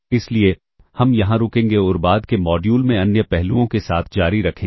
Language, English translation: Hindi, So, we will stop here and continue with other aspects in the subsequent modules